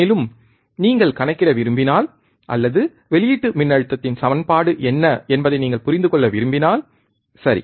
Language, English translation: Tamil, And if you want to calculate, or if you want to understand what was the equation of the output voltage, right